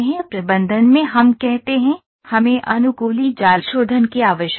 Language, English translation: Hindi, In manage we say, we need to have adaptive mesh refinement